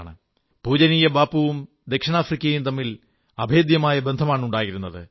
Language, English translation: Malayalam, Our revered Bapu and South Africa shared an unbreakable bond